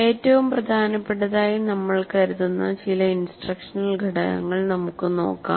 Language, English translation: Malayalam, And here we look at some instructional components which we consider most important